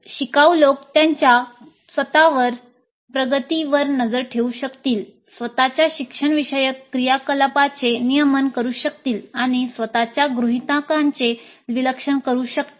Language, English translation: Marathi, Learners must be able to monitor their own progress, regulate their own learning activities and must be able to analyze, criticize their own assumptions